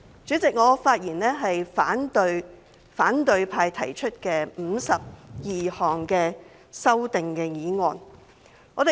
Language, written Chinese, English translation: Cantonese, 主席，我發言反對反對派提出的52項修正案。, Chairman I speak in opposition to the 52 amendments proposed by the opposition camp